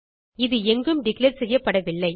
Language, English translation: Tamil, It was not declared anywhere